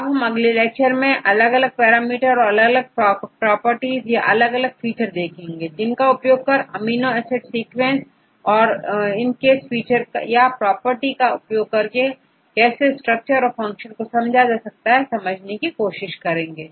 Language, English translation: Hindi, Next classes, we will discuss about the different parameters or different properties or different features, which can be derived from this amino acid sequences and how these features or the properties will be useful to understand this structure and function